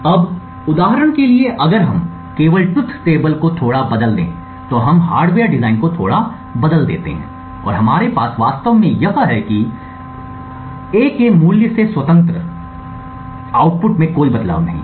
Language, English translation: Hindi, Now for example if we just change the truth table a little bit we change the hardware design a little bit and we actually have this and what we see over here is that independent of the value of A there is no change in the output